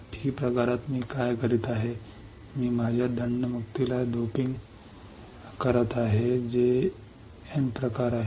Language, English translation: Marathi, In P type, what I am doing, I am doping my impunity which is N type